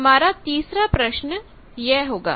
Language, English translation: Hindi, The third problem will be this